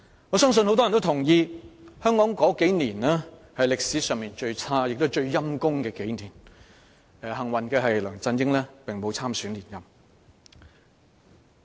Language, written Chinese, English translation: Cantonese, 我相信大部分人也同意，香港這數年間是歷史上最差和最悲慘的數年，但慶幸的是梁振英並無參選連任。, I believe most people would agree that the past couple of years were the worst and the most miserable years for Hong Kong in its history . Fortunately LEUNG Chun - ying did not run for re - election